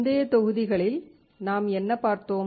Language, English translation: Tamil, In the earlier modules, what have we seen